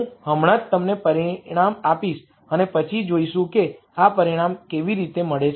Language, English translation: Gujarati, I will just give you the result and then we will see how we get this result